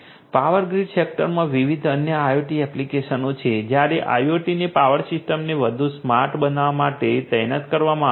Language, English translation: Gujarati, There are different other IoT applications in the power grid sector were IoT has been deployed to make the power systems much more smarter